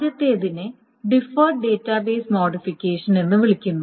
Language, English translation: Malayalam, The first one is called a deferred database modification